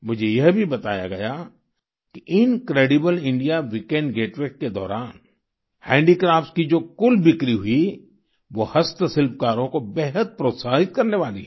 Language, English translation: Hindi, I was also told that the total sales of handicrafts during the Incredible India Weekend Getaways is very encouraging to the handicraft artisans